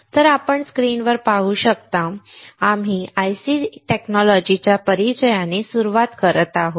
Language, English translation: Marathi, So, you can see on the screen, we are starting with the introduction to IC technology